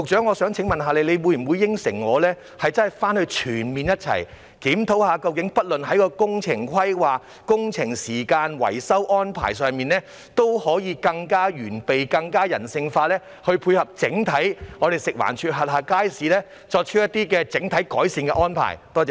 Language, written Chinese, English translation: Cantonese, 我想請問局長，會否承諾共同全面檢討工程規劃、工程時間和維修安排方面，務求更完備、更人性化地配合食環署轄下街市，以作出整體改善安排。, May I ask the Secretary whether she will undertake to conduct a comprehensive review of the works planning works schedule and maintenance arrangements with a view to striving for overall improvement by making better and more people - oriented arrangements for the markets under FEHD?